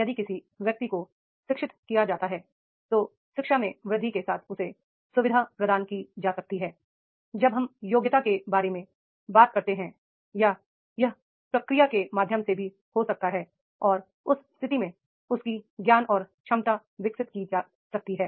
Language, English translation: Hindi, If person is educated, education facilitated to him with the enhancement, it will be maybe the it is directly with the when we talk about through the qualifications or it can be through the process also and therefore in that case his knowledge and ability has been developed